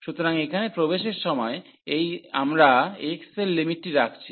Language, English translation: Bengali, So, while entering here, so we are putting the limit for x